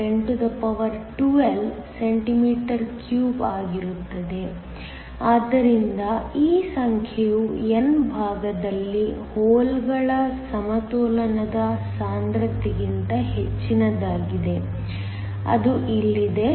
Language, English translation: Kannada, 4 x 1012 cm3, So, this number is much greater than the equilibrium concentration of holes on the n side, which is here